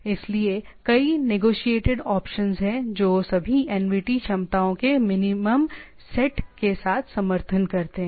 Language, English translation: Hindi, So, there are several negotiated option that all NVT supports a minimal set of capabilities right